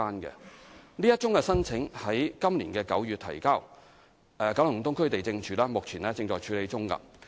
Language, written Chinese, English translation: Cantonese, 該宗申請於今年9月提交，九龍東區地政處現正處理中。, The application was submitted in September this year and is under processing by the District Lands OfficeKowloon East